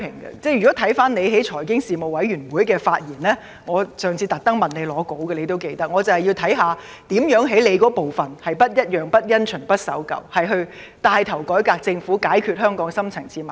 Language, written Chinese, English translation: Cantonese, 局長應記得上次在財經事務委員會會議上，我特意向他索取他的會議發言稿，我便是要看看局長如何在其職責範圍內，做到"不一樣、不因循、不守舊"地牽頭改革政府，解決香港的深層次矛盾。, The Secretary should recall that at the last meeting of the Panel on Financial Affairs I purposely asked him for his speaking note because I wanted to see how the Secretary could within his portfolio take the lead in reforming the government in an unusual untraditional and unconventional manner to resolve the deep - rooted conflicts in Hong Kong